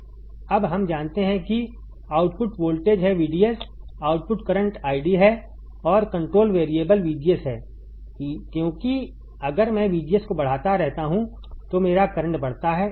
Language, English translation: Hindi, Now we know that output voltage is VDS output current is I D, and control variable is VGS because if I keep on increasing VGS my current increases correct